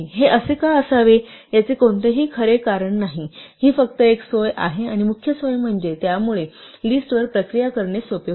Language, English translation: Marathi, So, there is no real reason why it should be this way, it is just a convenience and the main convenience is that this makes it easier to process lists